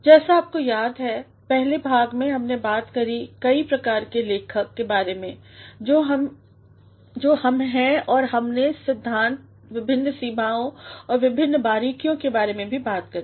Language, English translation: Hindi, As you remember in the first part, we talked about the different sorts of writer that we are and we also talked about the different limitations and the different nuances